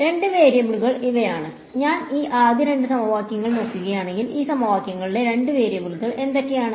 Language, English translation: Malayalam, The two variables are; if I look at these first two equations what are the two variables in these equations